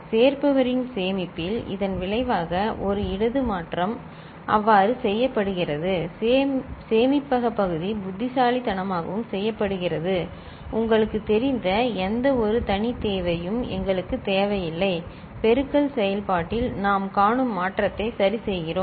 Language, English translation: Tamil, In storage of adder result, one left shift is made so, the storage part is made in such a manner, intelligent manner, that we do not require an any separate you know, shifting that we see in the multiplication process ok